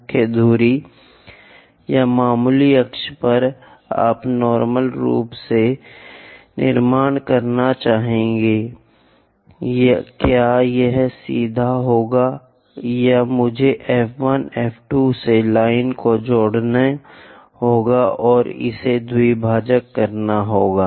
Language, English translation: Hindi, Precisely on major axis or minor axis, you would like to construct normal, will that be straightforwardly this one or do I have to join the lines from F 1 F 2 and bisect it